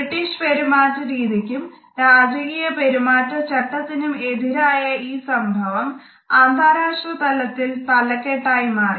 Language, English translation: Malayalam, This hug which was so much against the British norm of behavior, so much against the royal protocol made the global headlines